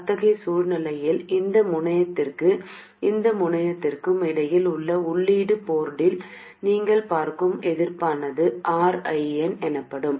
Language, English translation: Tamil, In such a situation, the resistance that you see into the input port, that is between this terminal and this terminal, this is known as RN, and between this terminal and this terminal, this is R out